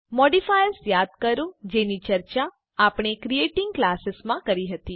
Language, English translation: Gujarati, Recall modifiers we had discussed in Creating Classes